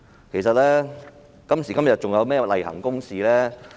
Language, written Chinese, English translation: Cantonese, 其實，今時今日還有甚麼是例行公事呢？, In fact what can still be regarded as a routine under the circumstances today?